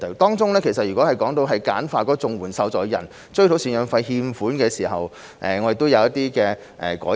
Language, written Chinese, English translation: Cantonese, 當中，就簡化綜援受助人追討贍養費欠款的程序，我們亦正進行一些改善。, In this connection we are making improvements to simplify the procedure for CSSA recipients to recover the arrears of maintenance payments